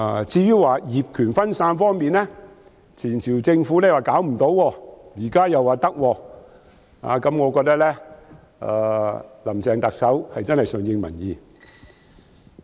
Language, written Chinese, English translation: Cantonese, 至於業權分散方面，上屆政府說無法可施，現在卻說可以，我覺得特首真的是順應民意。, On the problem of multiple ownership the last - term Government said that nothing could be done to it and now it is said that something can be done . I think the Chief Executive has really responded to public aspirations